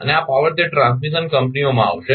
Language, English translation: Gujarati, And this power will come to that transmission companies